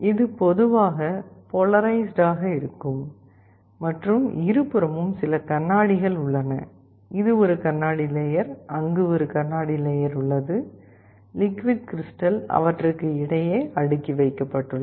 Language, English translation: Tamil, It is typically polarized and there are some glasses on both sides, this is a glass layer, there is a glass layer, the liquid crystal is sandwiched between them